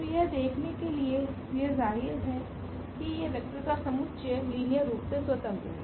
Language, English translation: Hindi, So, this trivial to see that this vector this set of vectors form a linearly independent set